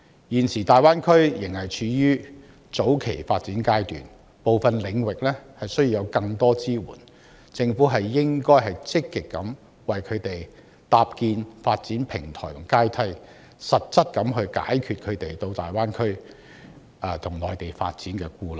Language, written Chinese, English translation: Cantonese, 現時大灣區仍處於早期發展階段，部分領域需要有更多支援，政府應該積極為他們搭建發展平台和階梯，實質地解除他們到大灣區和內地發展的顧慮。, Currently the Greater Bay Area is still in its early stage of development and stronger support in some areas should thus be provided . The Government should actively build development platforms and ladders for young people so as to allay through practical measures their worries of pursuing career development in the Greater Bay Area and the Mainland